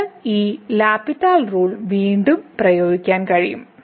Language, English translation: Malayalam, So, we can apply the L’Hospital’s rule once again to this expression